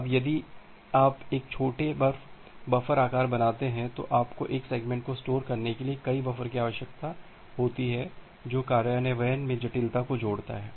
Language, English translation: Hindi, Now if you make a small buffer size, then you need multiple buffers to store a single segment which adds the complexity in the implementation